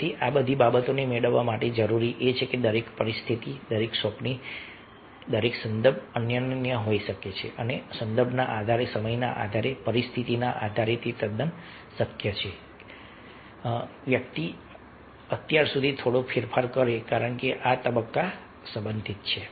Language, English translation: Gujarati, so for to get all these things, it is required that a, each situation, each assignment, each context might be unique and, based on the time, based on the context, based on the situation, it is quite possible that person might go for some change so far as these stages are concerned